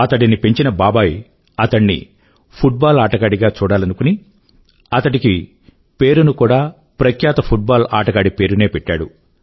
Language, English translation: Telugu, His uncle wanted him to become a footballer, and hence had named him after the famous footballer